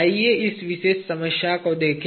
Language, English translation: Hindi, Let us look at this particular problem